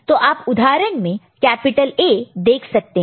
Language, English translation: Hindi, So, capital A you can see the in the example